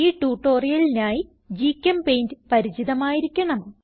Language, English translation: Malayalam, To follow this tutorial you should be familiar with GChemPaint